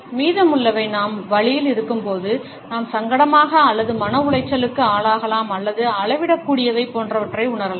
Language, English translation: Tamil, The rest occurs when either we are in pain, we may feel embarrassed or distressed or measurable etcetera